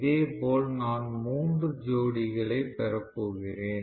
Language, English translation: Tamil, Similarly, I am going to have three pairs right